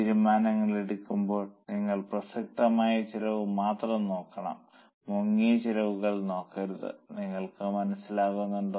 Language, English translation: Malayalam, Now, while taking decisions, you should only look at the relevant cost and not look at sunk costs